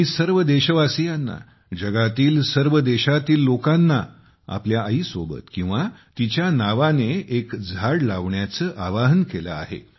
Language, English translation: Marathi, I have appealed to all the countrymen; people of all the countries of the world to plant a tree along with their mothers, or in their name